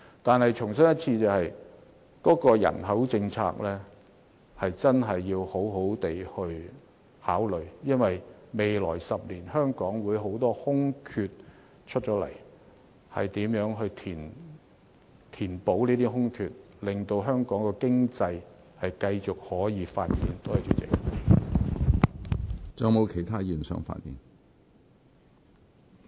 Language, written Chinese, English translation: Cantonese, 我重申，政府確實要好好考慮人口政策，因為未來10年香港會有很多職位騰空出來，如何填補這些空缺令香港經濟繼續發展，是一項艱巨工作。, The Government needs to consider the population policy very carefully because many job vacancies will appear in the next 10 years and it is a tremendous task to fill those posts to ensure the continuous development of the Hong Kong economy